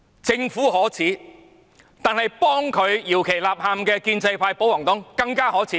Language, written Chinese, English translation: Cantonese, 政府可耻，但是，幫政府搖旗吶喊的建制派和保皇黨更可耻！, The Government is despicable but the pro - establishment camp and pro - Government camp egging the Government on are even more despicable!